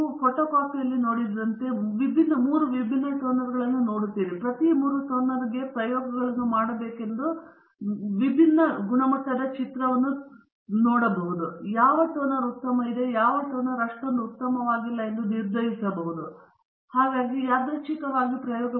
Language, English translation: Kannada, Suppose we are looking at a photocopier, and we are looking at three different toners used in the photocopier, let us say that you put for each toner you do three trials, and look at the picture quality, and then decide which toner is better, and the which toner is not so good, and so on